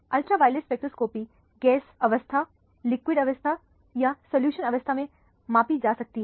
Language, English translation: Hindi, Ultraviolet spectroscopy can be measured either in the gas phase, in liquid phase or in solution phase